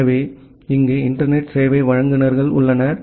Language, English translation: Tamil, So, here we have the internet service providers